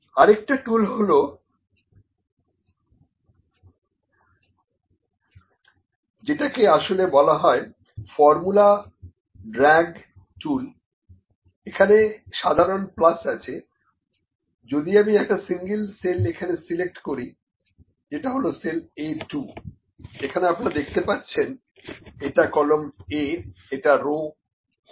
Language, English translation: Bengali, Another tool is there, which is actually the formula drag tool, the simple plus is there if I select the single cell here, which is cell A 2, this is cell A 2, if you see this is column A, row 2, column A row 2